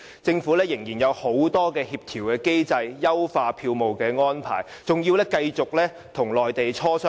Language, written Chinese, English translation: Cantonese, 政府仍然須就很多協調機制，包括優化票務安排等與內地磋商。, The Government still has to negotiate with the Mainland authorities on a number of coordination mechanisms such as improving the ticketing arrangements